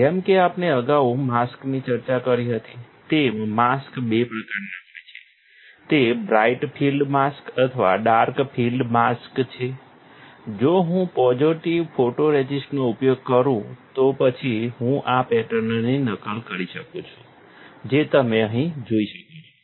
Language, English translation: Gujarati, As we discussed earlier, the mask; mask are of two types, either it is bright field mask or a dark field mask, if I use a positive photoresist then I can replicate this pattern as you can see here